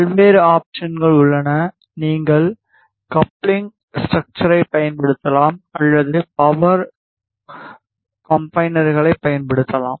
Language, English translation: Tamil, There are various options available; you can use coupling structures or you can use power combiners